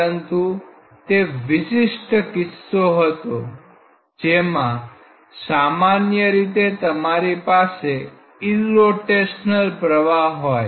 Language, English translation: Gujarati, But that is a very special case; in general if you have an irrotational flow